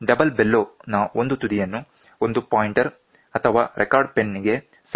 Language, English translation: Kannada, One end of the double bellow is connected to the pointer or to the pen